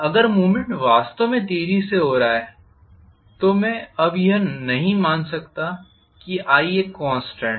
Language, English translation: Hindi, If the movement is taking place really really fast, I cannot assume now that I am going to have i as a constant